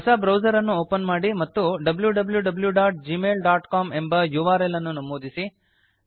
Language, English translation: Kannada, Open a fresh browser and the type the url www.gmail.com.Press Enter